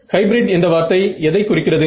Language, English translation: Tamil, So, what does a word hybrid imply